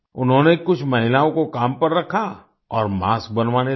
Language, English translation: Hindi, He hired some women and started getting masks made